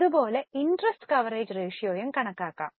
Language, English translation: Malayalam, Same way one can also calculate interest coverage ratio